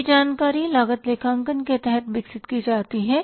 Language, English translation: Hindi, This information is developed under the cost accounting